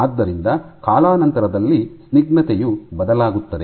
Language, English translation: Kannada, So, that the viscosity changes over time